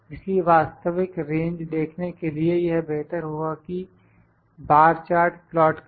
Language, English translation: Hindi, So, to see the actual range, it is better to plot the bar charts